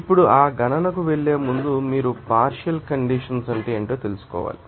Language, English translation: Telugu, Now, before going to that calculation you have to know that what would be the partial condensation basically